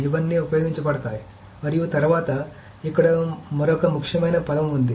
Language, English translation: Telugu, So this is all used and then there is another important term that is there